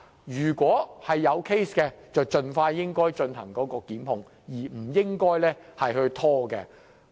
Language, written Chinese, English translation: Cantonese, 如果投訴成立，便應盡快進行檢控，不應拖延。, If a complaint is substantiated they should proceed with prosecution expeditiously and brook no delay